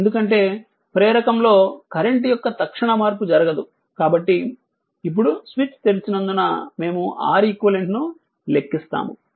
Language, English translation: Telugu, So, because an instantaneous change in the current cannot occur in an inductor, now as the switch is open we compute R eq